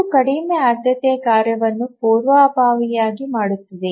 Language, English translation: Kannada, So it preempts the lower priority task